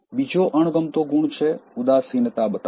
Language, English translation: Gujarati, Another dislikeable quality is showing apathy